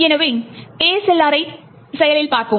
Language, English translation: Tamil, So, let us look at ASLR in action